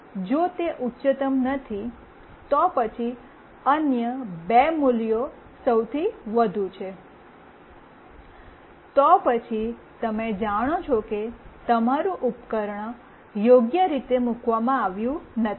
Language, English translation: Gujarati, And if it is not the highest, then the other two values are highest, then you know that your device is not properly placed